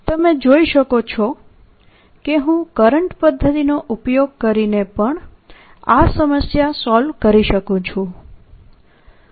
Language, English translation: Gujarati, so you see, i could have solved this problem using the current method